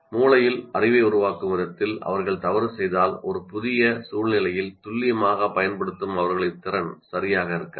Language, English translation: Tamil, If they make mistakes in the way they're constructing the knowledge in their brain, then what happens is their ability to apply accurately in a new situation will not be, will not be right